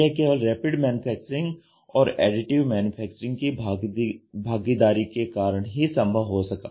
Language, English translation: Hindi, So, this could happen only because of Rapid Manufacturing and the involvement of Additive Manufacturing